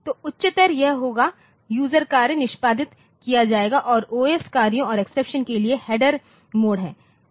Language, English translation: Hindi, So, higher it will be user task will be executed and the handler mode for o s tasks and exception